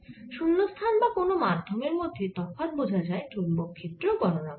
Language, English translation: Bengali, the difference between free space and a medium would be when we calculate the magnetic field